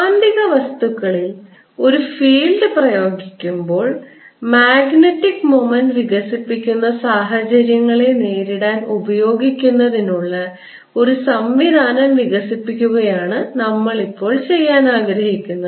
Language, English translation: Malayalam, what we want to do now is develop a machinery to using these to deal situations where there are magnetic materials sitting that develop magnetic moment when a field is applied